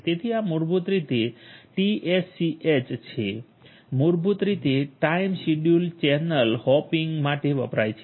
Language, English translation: Gujarati, So, this is basically TSCH, TSCH basically stands for Time Scheduled Channel Hopping